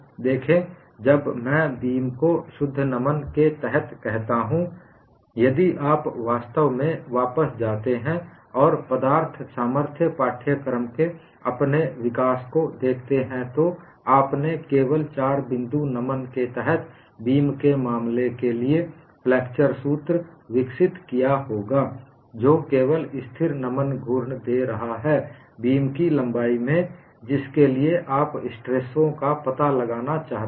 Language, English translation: Hindi, See, when I say beam under pure bending, if you really go back and see your strength of material course development, you would have developed the flexure formula only for the case of a beam under fore point bending, which is giving only constant bending moment in the length of the beam, for which you want to find out the stresses